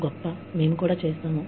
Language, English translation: Telugu, Great, we also do it